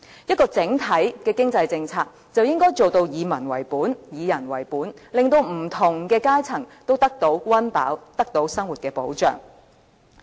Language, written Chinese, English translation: Cantonese, 一項整體的經濟政策，就應該做到以民為本、以人為本，令不同階層都得到溫飽，得到生活的保障。, Any overall economic policy should be people - oriented aiming to protect all social strata against deprivation and give them livelihood protection